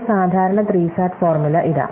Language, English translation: Malayalam, So, here is a typical SAT formula